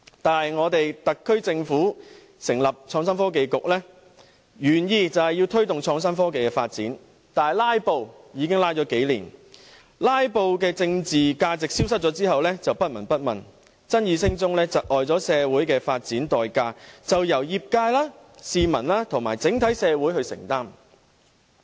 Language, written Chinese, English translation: Cantonese, 但是，香港特區政府成立創新及科技局，原意是推動創新科技的發展，但"拉布"已經拖拉了數年，在"拉布"的政治價值消失後就不聞不問，爭議聲中被窒礙的社會發展代價便由業界、市民和整體社會承擔。, In contrast the HKSAR Government proposed to set up an Innovation and Technology Bureau with the original intention of fostering the development of innovation and technology . But it was delayed for several years due to their filibustering . After the political significance of their filibustering vanished they became indifferent to this matter